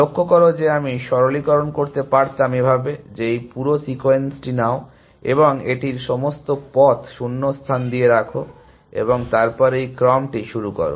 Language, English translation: Bengali, Observe that, I could have simplify said like this, that take this whole sequence, and the place it with gaps all the way, and then start this sequence